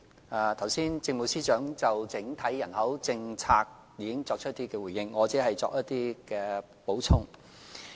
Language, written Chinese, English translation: Cantonese, 政務司司長剛才已就整體人口政策作出回應，我只會稍作補充。, The Chief Secretary for Administration has given a response in regard to the overall population policy just now and I will only add some supplementary information